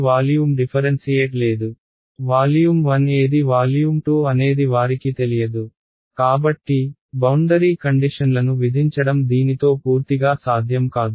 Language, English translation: Telugu, They do not know which is volume 1 which is volume 2 right, so, that imposing boundary conditions has not is not possible purely with this